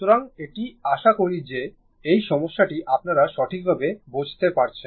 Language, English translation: Bengali, So, this is hope this problem is understandable to you right